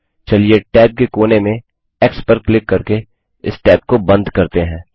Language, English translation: Hindi, Lets close this tab by clicking on the x at the corner of the tab